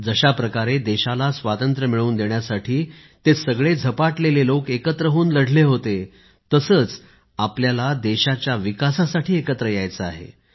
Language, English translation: Marathi, Just the way champion proponents of Freedom had joined hands for the cause, we have to come together for the development of the country